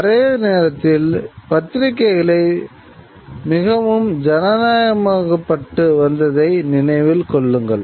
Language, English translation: Tamil, Remember the press was becoming much more democratized